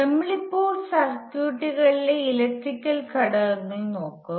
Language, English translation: Malayalam, We will now look at electrical elements in circuits